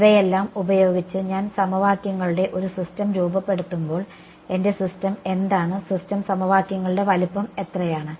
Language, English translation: Malayalam, When I form assemble a system of equations using all of these what is my system the size of my system of equations